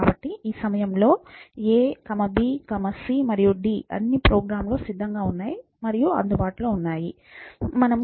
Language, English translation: Telugu, So, at this point a, b, c, d are all ready and is available in the program